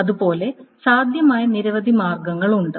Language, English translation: Malayalam, So there are many possible ways